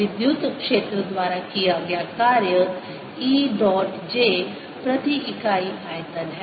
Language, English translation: Hindi, work done by electric field is e dot j per unit volume